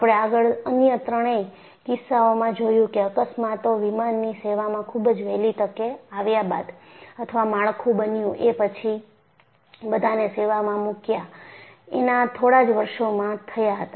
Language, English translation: Gujarati, You know,in all the three other cases, we saw that the accidents took place very early in the surface, or within few years after the structure is built and put into surface